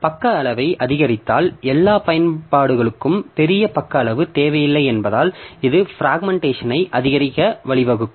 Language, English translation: Tamil, So, if you increase the page size, so this may lead to an increase in fragmentation as not all application requires the large page size